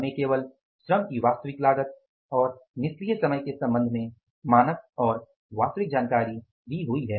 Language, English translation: Hindi, We are given the information with regard to the actual cost of the labor and the ideal time